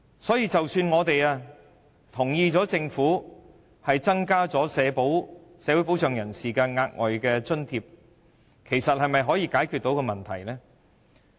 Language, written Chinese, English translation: Cantonese, 所以，即使我們同意政府增加領取社會保障人士的額外津貼，其實是否可以解決問題呢？, Even if we approve of the provision of extra allowances to social security recipients can the problem be actually resolved?